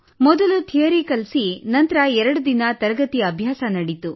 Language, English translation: Kannada, First the theory was taught and then the class went on for two days